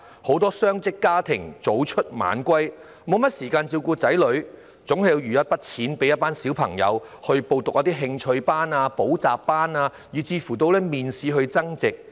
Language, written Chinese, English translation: Cantonese, 很多雙職家庭的父母早出晚歸，沒有時間照顧子女，但亦總要預留儲蓄為子女報讀興趣班、補習班甚或模擬面試，替他們增值。, A lot of double - income parents have to work all day long and have no time for their children . Yet they will always leave some savings for their children to attend interest classes tutorial classes or even mock interviews to seek enhancements